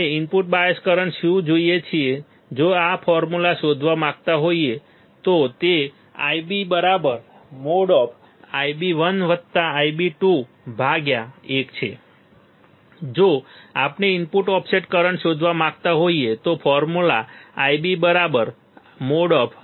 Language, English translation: Gujarati, So, what do we see input bias current if we want to find out the formula is I b equals to mode of I b 1 plus I b 2 divided by 2, if we want to find input offset current the formula would be I b equals to I b 1 minus I b 2 absolutely a more of I b 1 minus I b 2